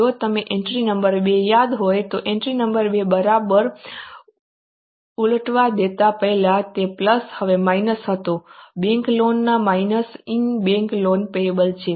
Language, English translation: Gujarati, If you remember entry number two, entry number two exactly reverse over there plus and now minus is minus in minus in bank loan payable